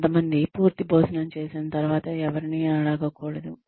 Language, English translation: Telugu, Some people say that, after you had a full meal, one should not be asked to